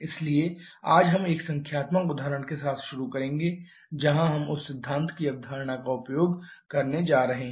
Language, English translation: Hindi, So, today we shall be starting with a numerical example where we are going to use that concept of the isentropic efficiency